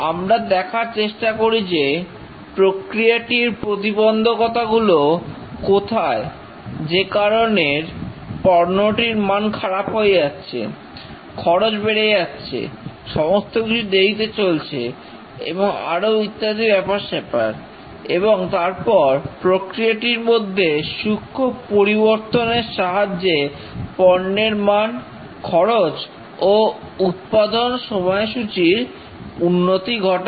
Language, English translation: Bengali, We find where are the process bottlenecks which are causing the product quality to be poorer, resulting in higher cost, delays and so on, and fine tune the process to improve the product quality, reduce cost and accelerate the schedule